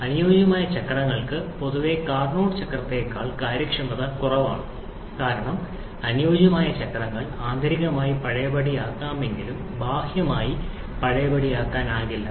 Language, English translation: Malayalam, Ideal cycles have generally efficiency lower than the Carnot cycle because ideal cycles are internally reversible but not externally reversible; like in Carnot cycle that being totally reversible